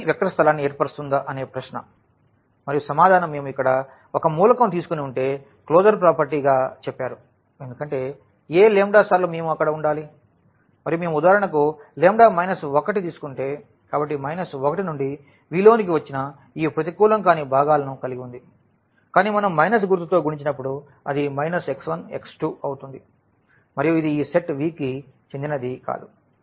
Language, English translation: Telugu, And the answer is no, because if we take one element here and the closure property says that the lambda times this we must be there and if we take lambda minus 1, for example, so, the minus 1 into the this element from V which are having this non negative components, but when we multiply with the minus sign it will become minus x 1 minus x 2 and this will not belongs to this set V